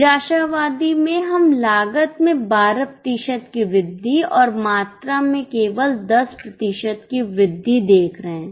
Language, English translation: Hindi, In the pessimistic we are looking at 12% rise in cost and only 10% rise in the volume